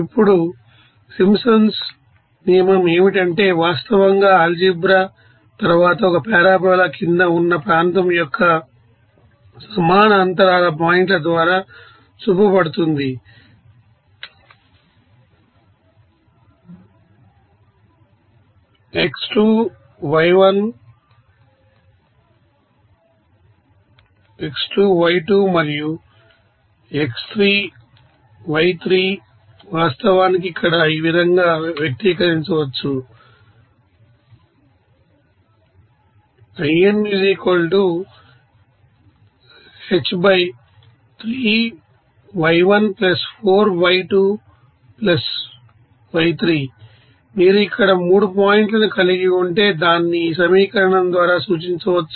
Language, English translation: Telugu, Now, what is that Simpsons rule it can be actually shown after a you know fair amount of algebra that the area under a parabola through equally spaced points of (x1, y1); (x2, y2) and (x3, y3) can be actually expressed as here, if you are having 3 points here, so, it can be represented by this you know equation